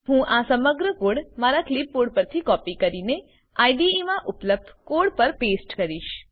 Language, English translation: Gujarati, I will copy the entire code on my clipboard and paste it over the existing code in the IDE